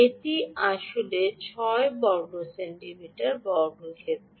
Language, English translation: Bengali, ok, this is actually six centimeter square